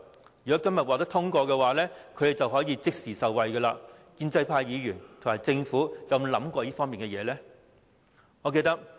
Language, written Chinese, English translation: Cantonese, 如《條例草案》今天獲得通過，地產代理就可以即時受惠，建制派議員和政府有沒有考慮過這一點？, Estate agents will immediately benefit if the Bill is passed today . Have pro - establishment Members and the Government ever considered this point?